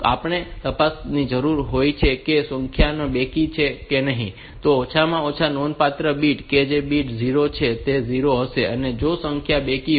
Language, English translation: Gujarati, So, we need to check if the number is even, then this the least significant bit that is a bit D 0 will be 0, if the number is even